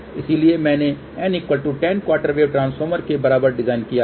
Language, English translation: Hindi, So, I had design even n equal to 10 quarter wave transformer